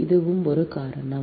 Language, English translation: Tamil, this is one reason then